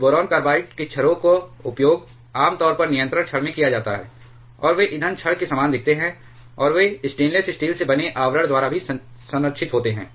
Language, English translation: Hindi, So, pellets of boron carbides are generally used in control rods, and they look quite similar to the fuel rods, and they also are protected by cladding made of stainless steel